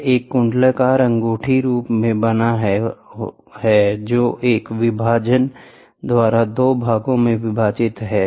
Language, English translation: Hindi, It is composed of an annular ring, which is separated into two parts by a partition